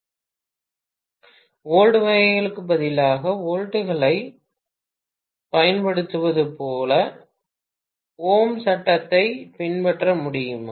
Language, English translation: Tamil, Could we follow the Ohm’s Law like could we use volts, in place of volts kind of (())(05:17)